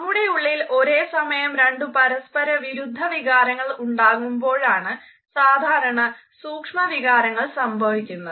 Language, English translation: Malayalam, Micro expressions occur normally when there are two conflicting emotions going on in our heart simultaneously